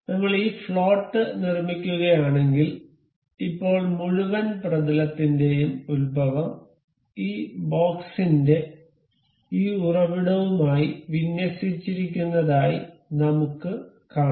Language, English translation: Malayalam, So, if we make this float, now we can see the origin of the whole plane is aligned with this origin of this box